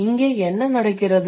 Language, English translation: Tamil, And what does it happen